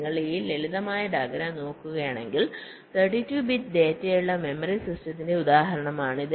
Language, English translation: Malayalam, so if you look at this simple diagram, this is the example of a memory system where there are, lets say, thirty two bit data